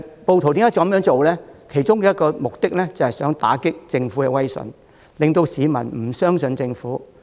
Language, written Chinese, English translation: Cantonese, 暴徒這樣做的其中一個目的，是希望打擊政府威信，令市民不信任政府。, In doing so one of the objectives of the rioters is to undermine the credibility of the Government so that the people will lose trust in the Government